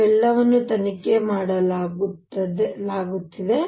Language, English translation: Kannada, These are all being investigated and so on